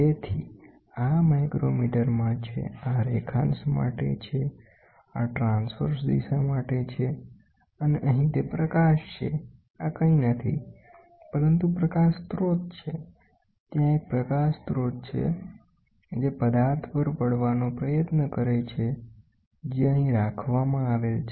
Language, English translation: Gujarati, So, this is in micrometre, this is for longitudinal, this is for transverse direction and here is the illumination this is nothing, but the light source, there is a light source this tries to fall on the object which is kept here and then you try to measure it